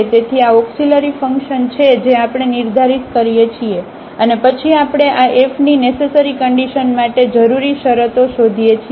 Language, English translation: Gujarati, So, this is the auxiliary function we define and then we find the necessary conditions on for the extrema of this F